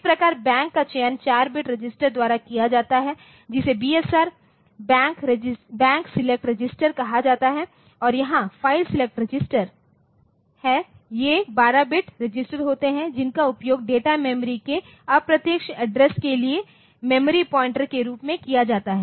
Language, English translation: Hindi, So, that way the Bank selection is done by the 4 bit registered called BSR Bank select register and there is a file select registered so, these are 12 bit registers used as memory pointers for indirect address the data memory